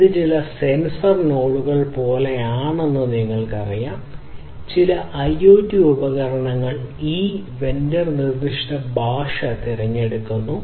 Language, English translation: Malayalam, You know it is somewhat like some sensor nodes, some IoT devices pick one specific vendor specific language